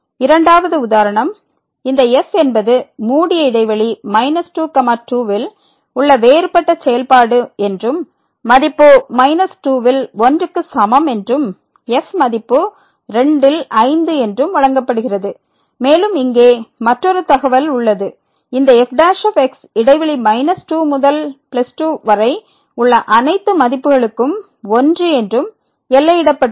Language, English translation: Tamil, The second example we will consider that this is the differentiable function on the closed interval minus to and such that the value is given as minus is equal to , is given as 2 as and there is another information here that prime ; prime is bounded by for all values of in this interval minus 2 to